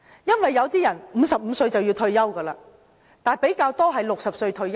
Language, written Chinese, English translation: Cantonese, 因為有些人55歲便要退休，但比較多是60歲退休的。, I intend not to refer to them as the elderly as some of them retire at 55 while more of them retire at 60